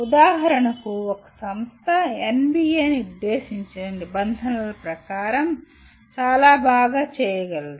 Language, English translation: Telugu, For example, an institution can do far better than as per the norms that are set by NBA